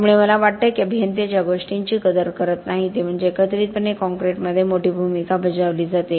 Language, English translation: Marathi, So I think the thing, I think what engineers do not appreciate is the huge role that aggregates play in concrete